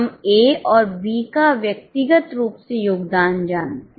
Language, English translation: Hindi, We know the contribution individually for A and B